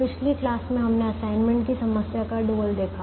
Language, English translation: Hindi, in the last class we saw the dual of the assignment problem